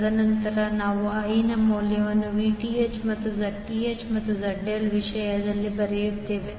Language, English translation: Kannada, And then we write the value of I in terms of Vth and the Zth and ZL